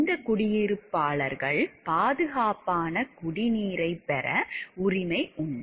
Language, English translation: Tamil, And these residents have the right to maybe a safe drinking water